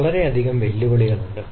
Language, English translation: Malayalam, so there are several challenges